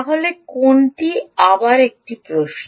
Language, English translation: Bengali, again is a question, right